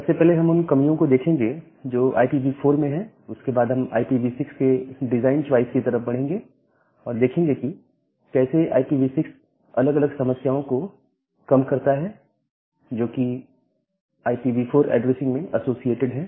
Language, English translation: Hindi, And then we will go to the design choices of IPv6 and the how IPv6 mitigates different problems, in which are associated with IPv4 addressing